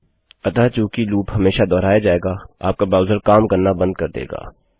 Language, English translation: Hindi, So since the loop will always be repeated, your browser will crash